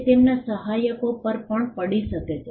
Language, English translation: Gujarati, It can also fall on their assignees